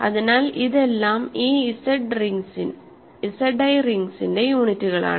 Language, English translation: Malayalam, So, these are the units of this rings Z i